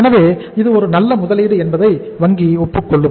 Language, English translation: Tamil, So bank would agree that it is a good investment